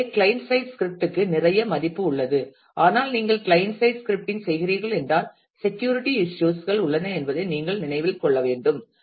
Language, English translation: Tamil, So, client side scripting has a lot of value, but you will have to have to remember that a if you are doing client side scripting then there are security issues